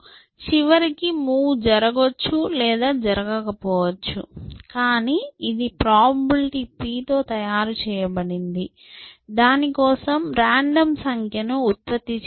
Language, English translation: Telugu, So, eventually the move is either made or is not made, but it is made with a probability p and that, for that you have to generate a random number